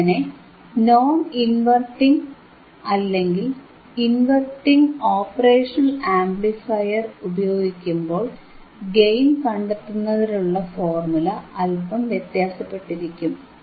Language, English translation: Malayalam, So, by using this non inverting and inverting impressionoperational amplifier, your formula for gain would be slightly different